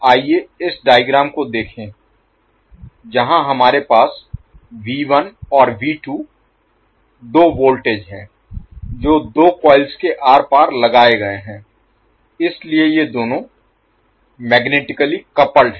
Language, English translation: Hindi, Let us see this particular figure where we have V1 andV2 2 voltages applied across the 2 coils which are placed nearby, so these two are magnetically coupled